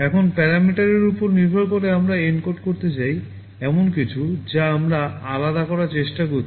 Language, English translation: Bengali, Now, depending on the parameter we want to encode there is something we are trying to vary